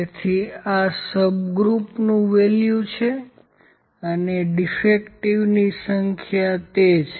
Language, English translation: Gujarati, So, and this subgroup value is there and the number of defective is there